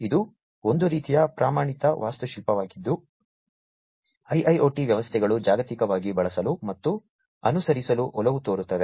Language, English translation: Kannada, So, this is sort of a standard architecture that IIoT systems globally tend to use and tend to follow